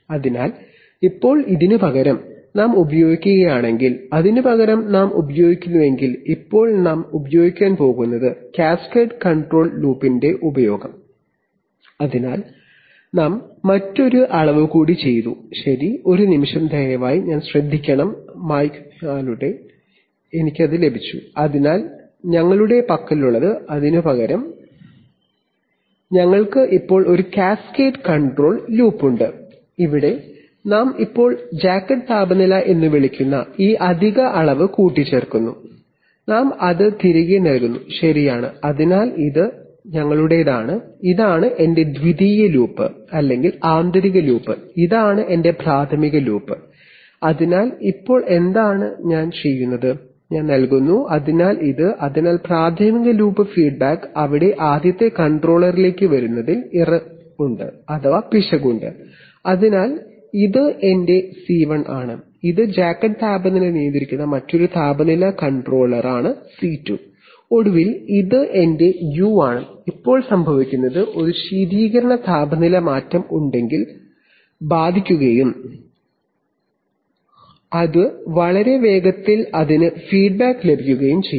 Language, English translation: Malayalam, So now instead of that, if we use, instead of that if we use, so now we are going to use the, use of cascade control loop, so we have made another measurement, Okay, one moment please, I want to take care of the eraser oh, okay I got it yeah, so what we have, is instead of that, We have a cascade control loop where we are now incorporating this additional measurement called the jacket temperature and we are feeding it back, right, so this is our, this is my secondary loop or inner loop and this is my primary loop, so now what I am doing is, I am giving, so this, so the primary loop feedback is there that is error it is coming to the first controller, so this is my C1 and this is another temperature controller which controls the jacket temperature that is my C2 and finally this is my u, now what happens is that if there is a coolant temperature change then that will affect TJ much faster and it will get feedback